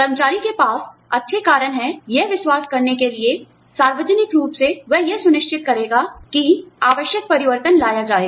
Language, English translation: Hindi, The employee has good reasons, to believe that, by going public, he or she will ensure that, the necessary changes will be brought about